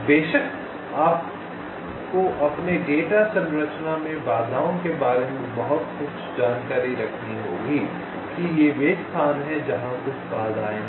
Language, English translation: Hindi, of course you have to keep some information about the obstacles in your data structure, that these are the places where some obstacles are there